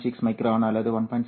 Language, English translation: Tamil, 6 microns, right, or 1